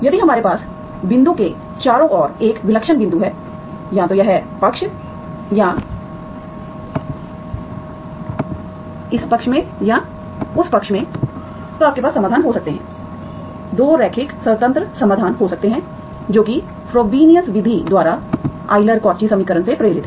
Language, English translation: Hindi, If we have a singular point around the point, either this side or that said, you can have, you can have solutions, 2 linearly independent solutions, that is by the Frobenius method, motivated by the Euler Cauchy equation, okay